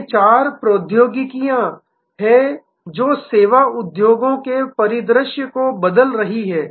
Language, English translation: Hindi, These are four technologies, which are changing the service industries landscape